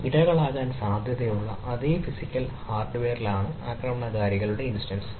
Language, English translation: Malayalam, attackers instance might be placed on the same physical hardware as the potential victims are